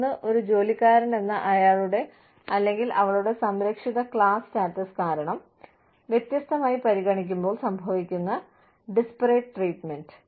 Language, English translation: Malayalam, One is Disparate treatment, which occurs, when an employer treats, an employee differently, because of his or her, protected class status